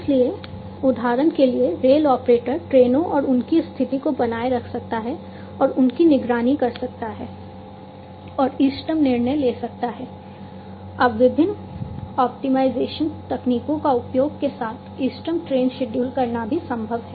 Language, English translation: Hindi, So, therefore, for example, the rail operator can maintain, and monitor the trains and their conditions, and make optimal decisions, it is also now possible to have optimal train scheduling with the use of different optimization techniques